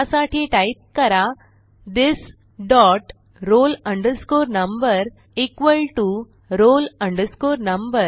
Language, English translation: Marathi, So type this dot roll number equal to roll number